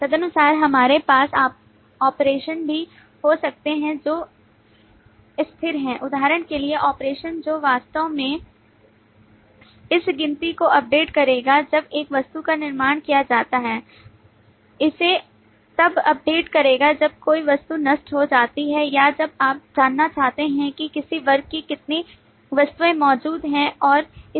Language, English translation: Hindi, Accordingly, we could have operations which are also static, for example the operation which will actually update this count when an object is constructed, will update it when an object is distracted or when you want to know how many objects of a class exist, and so on